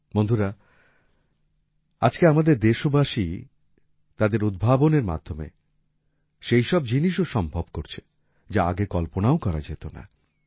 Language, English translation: Bengali, Friends, Today our countrymen are making things possible with their innovations, which could not even be imagined earlier